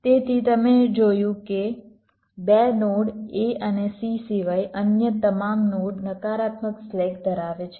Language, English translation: Gujarati, then two nodes, a and c, all the other nodes are having negative slacks